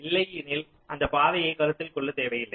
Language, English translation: Tamil, that path is not required to be considered